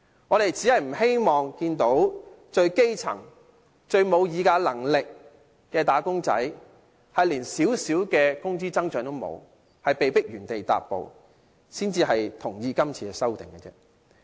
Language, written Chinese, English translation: Cantonese, 我們只是不希望看到最基層、最沒有議價能力的"打工仔"連少許工資增長也欠奉，被迫原地踏步，才會贊同今次的修訂。, We approve of this amendment simply because we do not want to see grass - roots wage earners with the least bargaining power being denied even a minimal wage increase and forced to remain stagnant